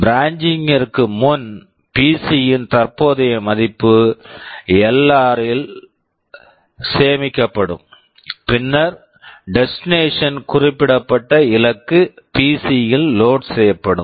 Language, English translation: Tamil, Before branching, the current value of the PC will be saved into LR and then the destination which is specified will be loaded into PC